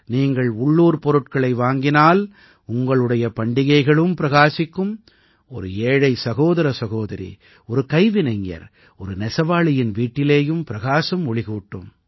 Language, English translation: Tamil, If you buy local, then your festival will also be illuminated and the house of a poor brother or sister, an artisan, or a weaver will also be lit up